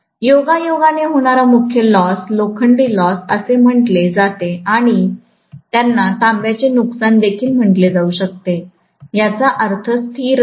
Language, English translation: Marathi, The core loss incidentally is also called as iron loss and they may also be called as copper loss I mean constant loss